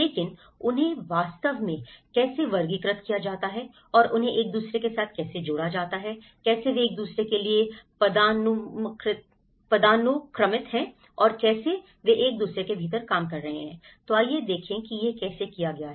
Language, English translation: Hindi, But how they are actually classified and how they are linked with each other, how they are hierarchical to each other and how they are governing bodies work within each other so, let’s see how it has been done